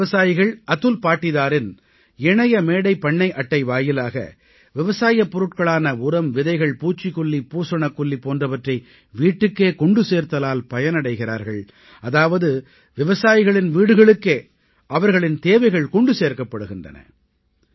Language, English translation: Tamil, Through the Eplatform farm card of Atul Patidar, farmers are now able to get the essentials of agriculture such as fertilizer, seeds, pesticide, fungicide etc home delivered the farmers get what they need at their doorstep